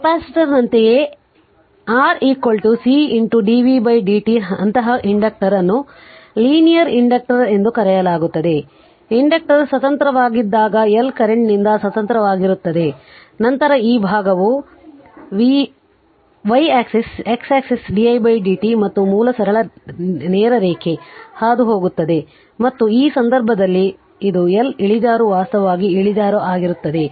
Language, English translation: Kannada, Like capacitor also how we saw R is equal to C into dv by dt such an inductor is known as linear inductor right, when inductor is independent the L is independent of the current then this side is v y axis x axis is di by dt and simple straight line passing through the origin and this is the slope that L slope is actually in this case inductor